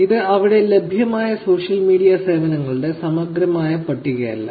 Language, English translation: Malayalam, This is not a comprehensive list of social media services that are available out there